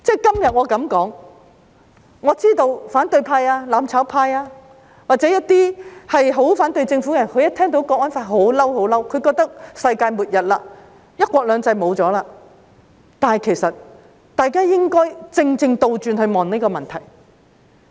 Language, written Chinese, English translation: Cantonese, 今天我這麼說，我知道反對派、"攬炒派"或一些很反對政府的人，一聽到《香港國安法》便感到憤怒，覺得是世界末日，"一國兩制"沒有了，但其實大家正正應該反過來檢視這個問題。, It is very special . Having said so today I know that the opposition camp the mutual destruction camp or some people who are very anti - government would get angry upon hearing about the National Security Law for Hong Kong . They would feel that it is the end of the world and one country two systems is gone